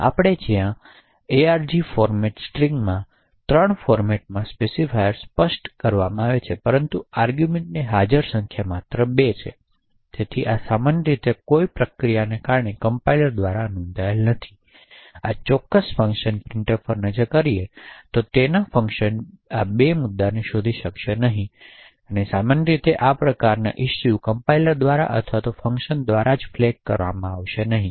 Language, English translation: Gujarati, So, let us look at this particular function where we specify 3 format specifiers in arg format string but the number of arguments present is only 2, so this typically would not be detected by compilers during compilation or due to any other process and printf in its function 2 will not be able to detect this issue therefore typically these kind of issues will not be flagged by the compilers or by the function itself